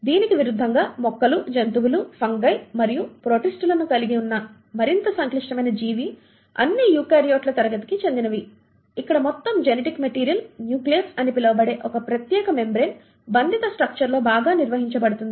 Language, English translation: Telugu, In contrast the more complex organism which involves the plants, the animals, the fungi and the protists, all belong to the class of eukaryotes where the entire genetic material is very well organised within a special membrane bound structure called as the nucleus